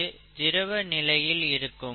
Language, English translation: Tamil, This is in the liquid, okay